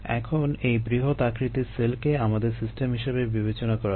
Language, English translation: Bengali, now let us consider this large cell as a system